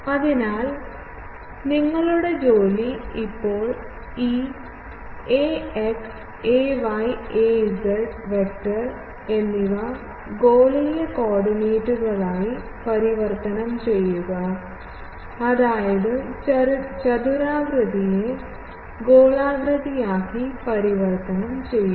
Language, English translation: Malayalam, So, your job is to now, convert this ax ay and az vector to spherical coordinates; that means, I am giving you the clue that ax ay, this you know spherical to rectangular coordinate transformation just